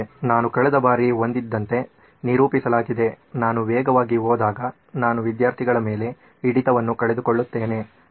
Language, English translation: Kannada, So represented like what we had last time is when I go fast I lose out on retention from the students